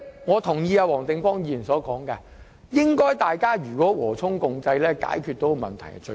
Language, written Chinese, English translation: Cantonese, 我同意黃定光議員所說，勞資雙方和衷共濟解決問題固然最好。, I agree with Mr WONG Ting - kwong that it would be best if both employers and employees can work together to resolve their differences